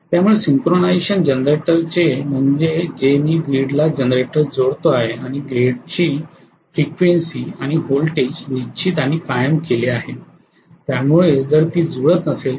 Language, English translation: Marathi, So synchronization of a generator means that I am connecting a generator to the grid and the grid voltage and frequency or set and stoned